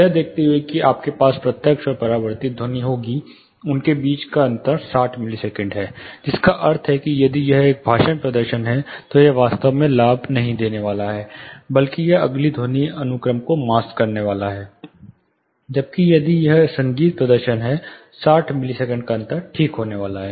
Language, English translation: Hindi, Considering that you will have the direct and the reflected between them, 60 milliseconds which means if it is a speech performance, it is not going to actually benefit, rather it is going to mask the next sound sequence, whereas, if it is a music performance 60 million seconds difference is rather